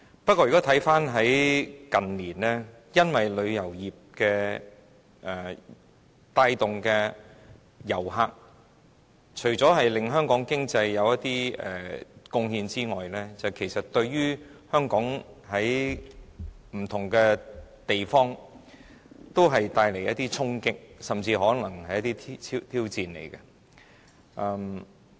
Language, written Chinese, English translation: Cantonese, 不過，看回近年，因為旅遊業帶動的遊客，除了對香港經濟有貢獻外，其實對香港不同方面也帶來衝擊，甚至是挑戰。, But in recent years the visitor arrivals generated by tourism other than contributing to the Hong Kong economy have actually dealt a blow and even brought challenges to Hong Kong in various aspects